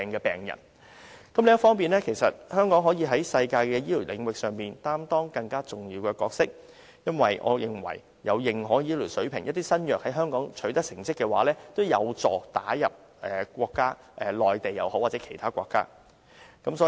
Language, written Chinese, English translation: Cantonese, 另一方面，香港可以在世界的醫療領域上擔當更重要的角色，因為我認為新藥在有世界認可醫療水平的香港取得成績，也有助藥物打入不論是內地或其他國家的市場。, Meanwhile Hong Kong can play a more important role in the international medical field . As such I think that should the new drug achieve results in Hong Kong which has reached the internationally recognized medical standard it will find it easier to enter the markets on the Mainland or in other countries